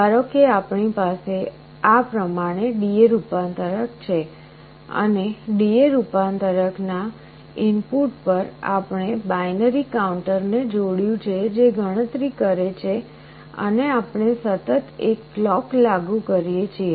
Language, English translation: Gujarati, Suppose we have a D/A converter like this, and to the input of the D/A converter we have connected a binary counter which counts up and we apply a clock continuously